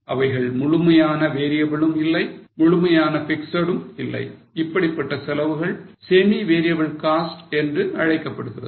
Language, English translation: Tamil, To an extent they are variable but to an extent they are fixed they are called as same variable cost